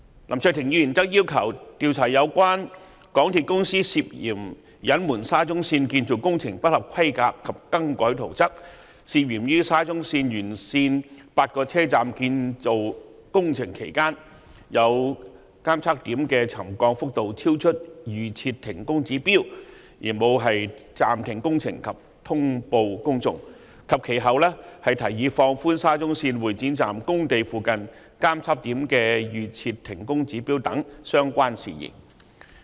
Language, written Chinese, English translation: Cantonese, 林卓廷議員則要求調查有關港鐵公司涉嫌隱瞞沙中線建造工程不合規格及更改圖則、涉嫌於沙中線沿線8個車站建造工程期間，有監測點的沉降幅度超出預設停工指標而沒有暫停工程及通報公眾，以及其後提議放寬沙中線會展站工地附近監測點的預設停工指標等相關事宜。, Mr LAM Cheuk - ting requested that an inquiry be conducted into matters relating to MTRCLs alleged concealment of the substandard construction works and alternations to the construction drawings of SCL alleged failure to suspend the construction works and notify the public when the settlement of some monitoring points is found to have exceeded the pre - set trigger levels during the construction of eight stations along SCL and subsequent proposal of relaxing the pre - set trigger levels for temporary suspension of works of the monitoring points near the construction site of the Exhibition Centre Station of SCL and other related matters